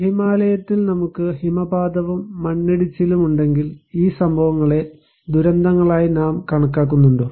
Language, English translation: Malayalam, If we have avalanches, landslides in Himalayas, do we consider these events as disasters